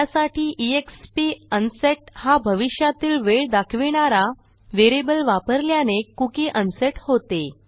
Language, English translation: Marathi, And use exp unset variable to set it to a time in the future, thereby unsetting our cookie